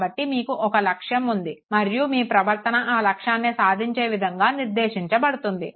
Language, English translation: Telugu, So you have a goal at hand and your behavior is directed towards that very goal